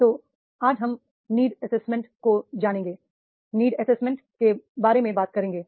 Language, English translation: Hindi, So, today, we will talk about the need assessment training need assessment